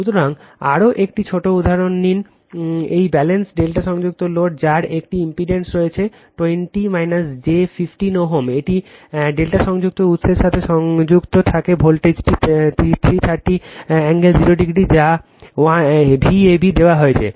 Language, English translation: Bengali, So, take another small example; a balanced delta connected load having an impedance 20 minus j 15 ohm is connected to a delta connected source the voltage is 330 angle 0 degree that is V ab is given